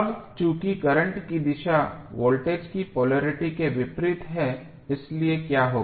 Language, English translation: Hindi, Now, since the direction of current is opposite of the polarity of the voltage so what will happen